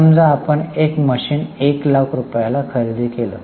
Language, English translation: Marathi, Suppose we have purchased one asset, say machinery for 1 lakh